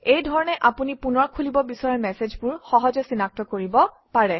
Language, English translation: Assamese, This way you can easily identify messages you want to open again